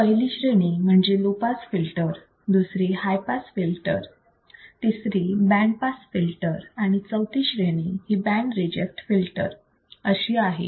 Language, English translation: Marathi, We also have low pass filters, high pass filters, band pass filters and band reject filters